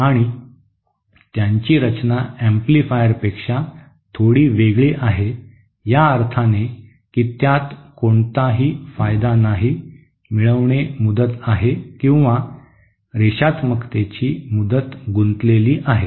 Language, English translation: Marathi, And their design is bit different from that of amplifier in the sense that there is no gain involved, gain term involved or linearity term involved